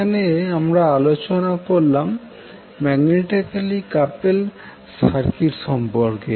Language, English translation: Bengali, So in today’s session we will discuss about the magnetically coupled circuit